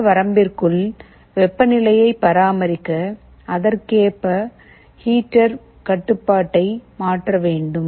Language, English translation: Tamil, Let us say here, to maintain the temperature within this range, you have to send the heater control accordingly